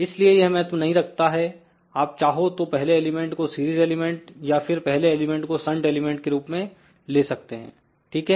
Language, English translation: Hindi, So, it does not matter you can start with either first element which is series element or you can start with the first element as a shunt element, ok